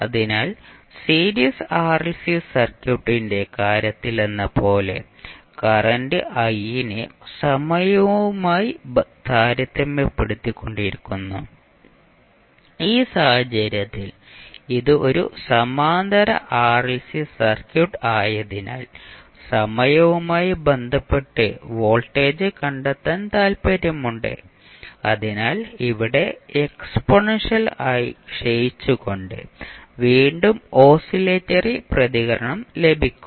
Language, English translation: Malayalam, So in both of the cases like in case of series RLC circuit, we were comparing the current i with respect to time, in this case since it is a parallel RLC circuit we are interested in finding out the voltage with respect to time, so here you will again get the oscillatory response with exponentially decaying, so exponentially decaying because of this term oscillatory response would be because of this term